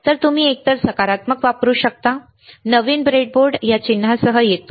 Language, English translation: Marathi, So, you can use either positive see near newer board breadboard comes with this sign